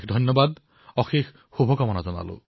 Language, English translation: Assamese, Many many thanks, many many good wishes